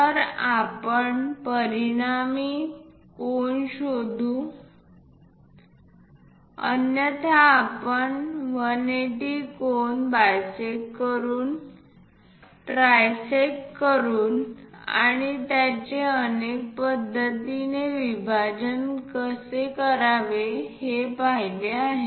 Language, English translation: Marathi, So, the resulting angle we can really locate it, otherwise we have seen how to divide these angle 180 degrees by bisecting it, trisecting it and so on that is also we can go ahead